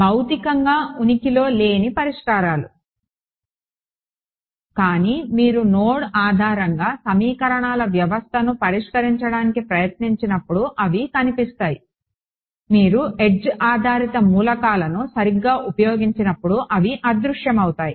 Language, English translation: Telugu, Solutions which physically do not exist, but they appear when you try to solve the system of equations using node based those go away when you used edge based elements right